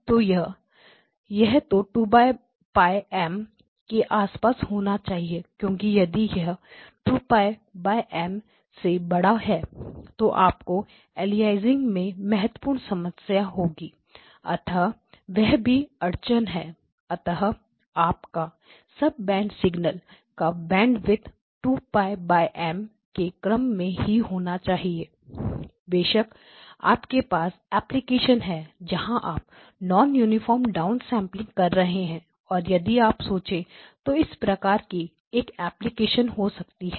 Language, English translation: Hindi, It has to be around 2Pi by M because if it is much larger than 2pi by M you are going to have significant problems in aliasing, so that is also constraints, so your sub band signals the band width it should be of the order of 2pi by M that again is sort of linked to it, of course you do have applications where you do non uniform this thing down sampling and you can one of those applications if you want to think about it